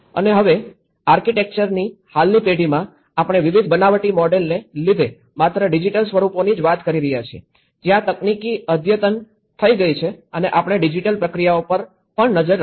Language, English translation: Gujarati, And now, in the present generation of architecture, we are talking about not only the digital forms because of various fabricated models, where technology has been advanced and also we are looking at the digital processes as well